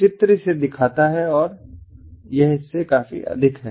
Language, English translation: Hindi, the figure shows it and it is quite exponentially from this